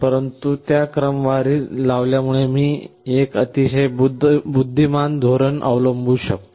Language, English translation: Marathi, But because it is sorted I can adapt a very intelligent strategy